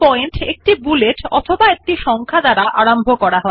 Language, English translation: Bengali, Each point starts with a bullet or a number